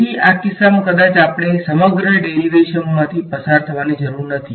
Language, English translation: Gujarati, So, in this case maybe we do not need to go through the entire derivation